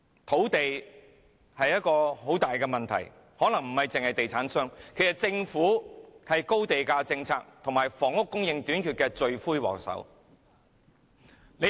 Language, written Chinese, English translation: Cantonese, 土地是一個很大的問題，可能不單是地產商，其實政府也是高地價政策和房屋供應短缺的罪魁禍首。, Land is a big problem . Property developers may not be the only culprits . Actually the Government is the also the culprit responsible for the high land price policy and the housing shortage